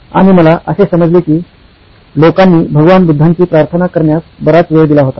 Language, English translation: Marathi, And I found out that the people had devoted a lot of time into praying Buddha, Lord Buddha